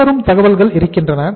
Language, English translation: Tamil, The following information are available